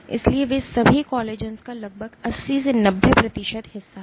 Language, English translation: Hindi, So, they constitute nearly 80 90 percent of all collagens